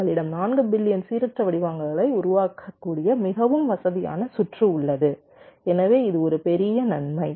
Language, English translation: Tamil, we have a very convenient circuit which can generate four billion random patterns